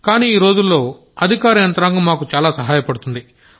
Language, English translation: Telugu, But in present times, the administration has helped us a lot